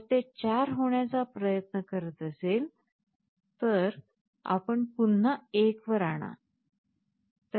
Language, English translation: Marathi, So, if it tries to become 4, you again bring it back to 1